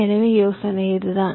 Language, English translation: Tamil, ok, so the idea is this